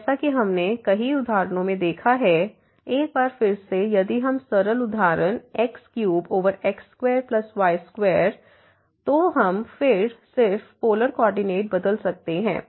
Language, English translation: Hindi, As we have seen in many examples ah, like again if we take the simple example cube over square plus square; so we can just change the polar co ordinate